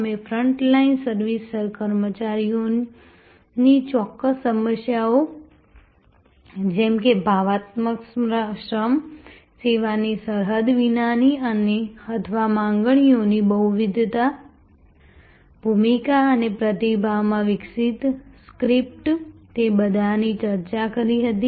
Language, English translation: Gujarati, We had discussed a specific problems of front line service employees like emotional labor, like the borderlessness of service or like the multiplicity of demands, the role and the script that are developed in response, all of those